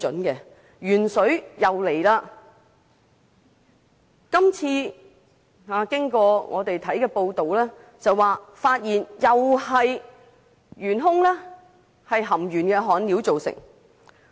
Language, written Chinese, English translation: Cantonese, 鉛水事件再次出現，而透過報道更可得知今次的元兇又是含鉛焊料。, Excess lead in drinking water is once again detected and from the news report we know that the culprit this time is once again a leaded soldering material